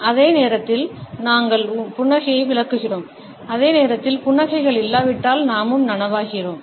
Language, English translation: Tamil, At the same time, we interpret the smiles, and at the same time we also become conscious if the smiles are absent